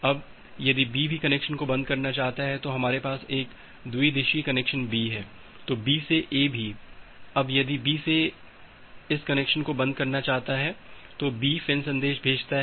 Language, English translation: Hindi, Now, if B wants to close the connection as well, so we have a bidirectional connection B also B to A now if B wants to close this connection B sends this FIN message